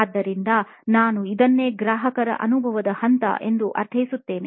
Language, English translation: Kannada, So, this is what I mean by steps of the as is customer experience